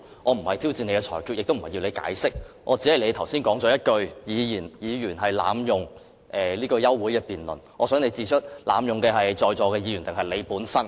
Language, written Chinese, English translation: Cantonese, 我不是挑戰你的裁決，亦不是要你作出解釋，只是你剛才提及議員濫用休會辯論的機制，我想你指出濫用機制的是在座的議員，還是你本人呢？, Since you said just now that Members were abusing the system I am only asking you tell us who are abusing the system of moving adjournment motions . Members or you?